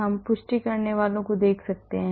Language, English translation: Hindi, We can look at confirmers